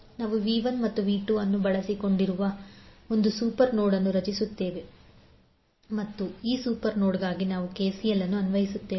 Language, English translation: Kannada, So what we can do, we create one super node which includes V 1 and V 2 and we will apply KCL for this super node